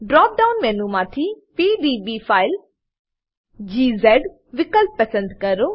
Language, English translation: Gujarati, From the drop down menu, select PDB file option